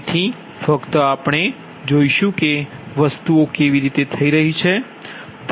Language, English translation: Gujarati, so just i just will see that how things are happening